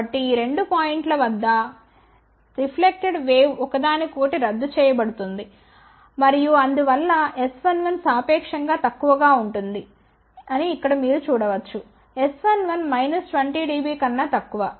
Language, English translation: Telugu, So, that the reflected wave at these 2 points will cancelled each other and hence, S 1 1 will be relatively small as you can see here S 1 1 was less than minus 20 dB